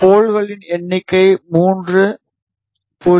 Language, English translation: Tamil, Number of poles 3, 0